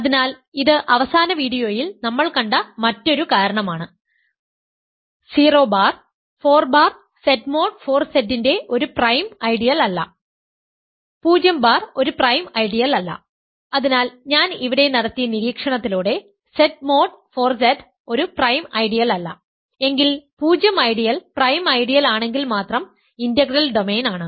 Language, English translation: Malayalam, So, this is another reason is that we already saw in the last video, 0 bar is not a prime ideal of 4 bar Z mod 4Z right; 0 bar is not a prime ideal hence Z mod 4Z is not a prime ideal by the observation I made here, integral domain if and only if 0 ideal is prime ideal